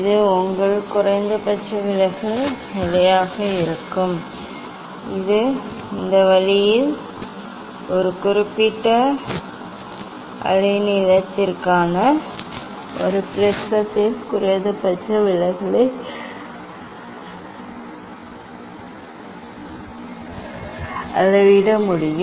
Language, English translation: Tamil, that will be the, your minimum deviation position, this way one can measure the minimum deviation of a prism for a particular wavelength